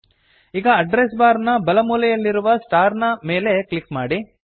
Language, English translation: Kannada, * Now, from the right corner of the Address bar, click on the star